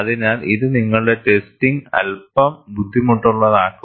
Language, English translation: Malayalam, So, this makes your testing also a bit difficult